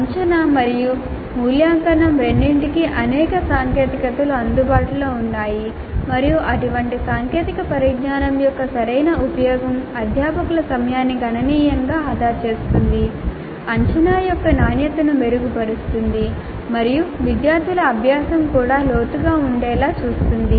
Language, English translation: Telugu, Now there are several technologies available for both assessment and evaluation and a proper use of such technologies can considerably save the faculty time, make the quality of assessment better and ensure that the learning of the students also is deep